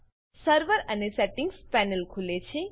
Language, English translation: Gujarati, The Server and Settings panel opens